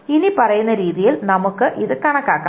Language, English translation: Malayalam, We can compute it in the following manner